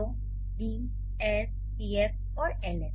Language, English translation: Hindi, So, D, S, PF and LF